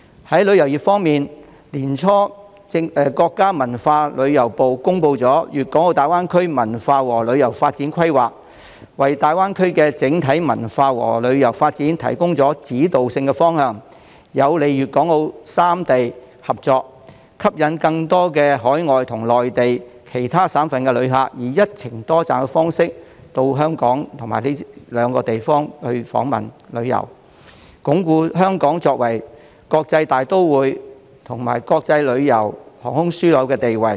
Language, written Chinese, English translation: Cantonese, 在旅遊業方面，國家文化和旅遊部在年初公布了《粤港澳大灣區文化和旅遊發展規劃》，為大灣區的整體文化和旅遊發展提供指導性方向，有利粵港澳三地合作，吸引更多海外及內地其他省市的旅客以"一程多站"的方式到港及以上兩個地方訪問和旅遊，鞏固香港作為"國際大都會"及"國際旅遊、航空樞紐"的地位。, Regarding the tourism industry the Ministry of Culture and Tourism promulgated the Culture and Tourism Development Plan for the Guangdong - Hong Kong - Macao Greater Bay Area early this year which sets out the directions for the overall cultural and tourism development of GBA facilitates the development of Guangdong Hong Kong and Macao and attracts overseas tourists and tourists from other mainland provinces and cities to embark on multi - destination journeys to Hong Kong and the two places above . This will strengthen the positions of Hong Kong as an international metropolis as well as an international tourism and aviation hub